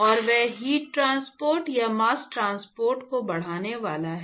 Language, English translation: Hindi, And that is going to enhance the heat transport or mass transport